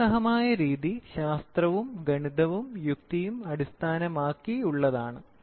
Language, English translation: Malayalam, Rational is based on science and Maths and logic